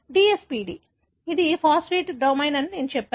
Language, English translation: Telugu, The other one is the DSPD, which I said is the phosphatase domain